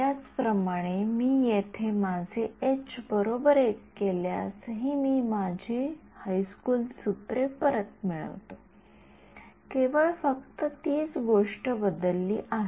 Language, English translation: Marathi, Similarly, if I make my h is over here equal to 1, I get back my high school formulas, that is the only thing that has changed